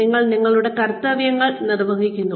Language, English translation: Malayalam, You perform your duties